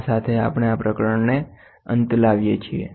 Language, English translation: Gujarati, With this we come to an end to this chapter